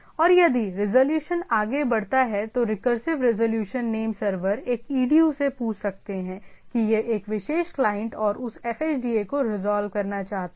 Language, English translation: Hindi, And if the resolution goes on, so there can be recursive resolution name servers asks to a edu that what it wants to resolve a particular client and that fhda